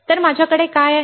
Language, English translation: Marathi, So, what I have